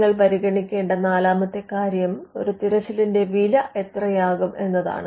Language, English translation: Malayalam, Now the fourth thing you would consider is the cost normally the cost of a search is fixed